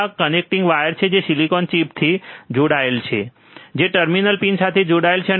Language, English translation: Gujarati, these are connecting wires that are connected heat to the silicon chip, which is connected to the terminal pins